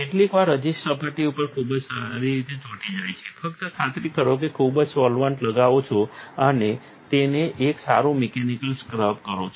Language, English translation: Gujarati, Sometimes the resist is sticking very well on the surface, just make sure to apply plenty of solvent and give it a good mechanical scrub